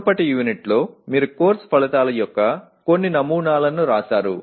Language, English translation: Telugu, In the earlier unit you wrote some samples of course outcomes